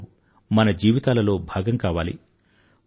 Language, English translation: Telugu, Sports should become a part of our lives